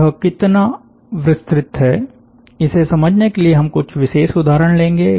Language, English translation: Hindi, to understand that, we will take some special examples